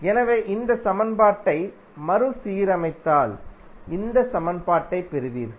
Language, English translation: Tamil, So, if you rearrange this equation you will simply get this equation